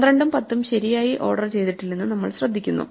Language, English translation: Malayalam, We notice that 12 and 10 are not correctly ordered